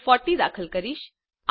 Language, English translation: Gujarati, I will enter 40